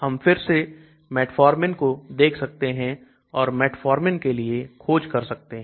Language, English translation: Hindi, So we can see again metformin so we can search for metformin